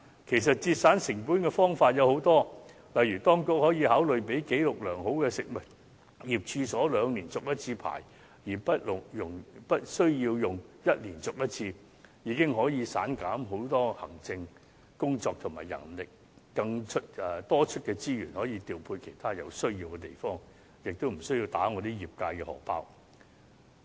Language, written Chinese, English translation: Cantonese, 節省成本的方法有很多，例如當局可以考慮讓紀錄良好的食物業處所兩年才續牌1次，而無須每年續牌，這已能減省很多行政工作和人力，多出的資源既可調配到其他有需要的地方，亦無須打我們業界"荷包"。, There are many ways of saving costs . For example the authorities may consider allowing food premises with good track records to renew their licences once every two years instead of every year . This can save a lot of administrative work and manpower